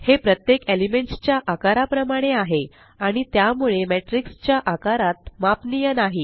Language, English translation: Marathi, They are of the same size as each element, and hence are not scalable to the size of the matrix